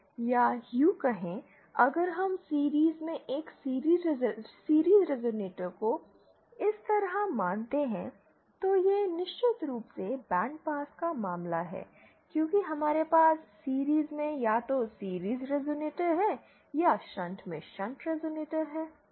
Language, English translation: Hindi, Or say, if we consider a series resonator in series like this, so this is the band pass case of course because we have either a series resonator in series or a shunt resonator in shunt